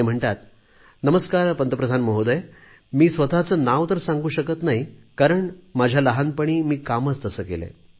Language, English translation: Marathi, "Namaskar, Pradhan Mantriji, I cannot divulge my name because of something that I did in my childhood